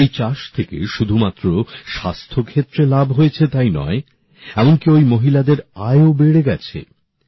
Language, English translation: Bengali, Not only did this farming benefit in the field of health; the income of these women also increased